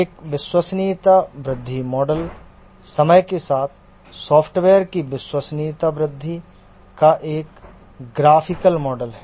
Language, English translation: Hindi, A reliability growth model is a graphical model of the reliability growth of the software with time